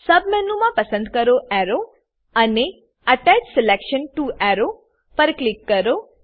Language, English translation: Gujarati, In the Submenu select Arrow and Click on Attach selection to arrow